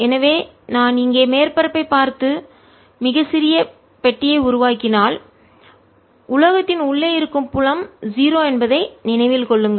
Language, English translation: Tamil, so if i look at the surface out here and make a very small box, keep in mind that field inside the metal is zero